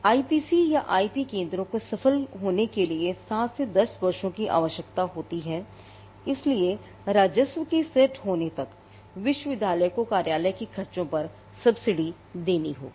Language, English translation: Hindi, IPCs or IP centres need 7 to 10 years to become successful, till such time the university will have to subsidize the expenses of the office till the revenue sets in